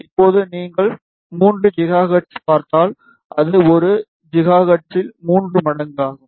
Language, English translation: Tamil, Now, if you see at 3 gigahertz, it is thrice of the 1 gigahertz